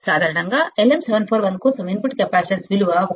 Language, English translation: Telugu, Typically, the value of input capacitance for LM741 is 1